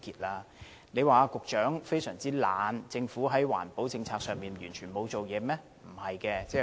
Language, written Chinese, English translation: Cantonese, 我們不能說環境局局長非常懶惰，或政府在環保政策上完全沒有下工夫。, I am not saying that the Secretary for the Environment is very lazy or the Government has done nothing in implementing environmental policies